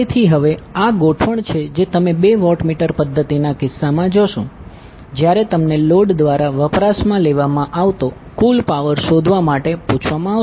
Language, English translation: Gujarati, So now this is the arrangement which you will see in case of two watt meter method when you are asked to find out the total power consumed by the load